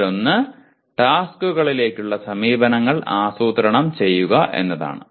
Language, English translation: Malayalam, One is planning approaches to tasks